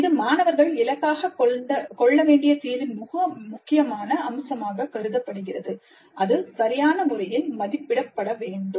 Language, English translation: Tamil, That is considered as very important feature of the solution that the students must aim it and it must be assessed appropriately